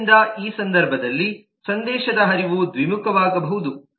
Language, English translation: Kannada, so the message flow in this case could be bidirectional